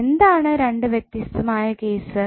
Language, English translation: Malayalam, What are the two different cases